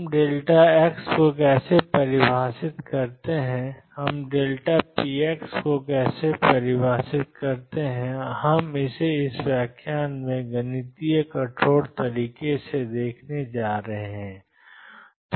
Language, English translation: Hindi, How do we define delta x how do we define delta px we are going to see it in a mathematical rigorous manner in this lecture